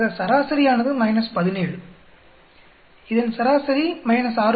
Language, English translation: Tamil, So the average is minus 17, average for this is minus 6